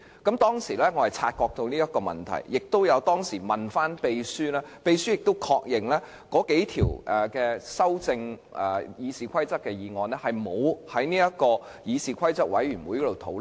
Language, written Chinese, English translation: Cantonese, 我當時已察覺這情況，並向秘書查問，而秘書亦確認有數項《議事規則》的擬議決議案沒有經議事規則委員會討論。, I was aware of this back then and had checked with the Clerk who also confirmed that a couple of proposed resolutions on RoP had not been discussed by CRoP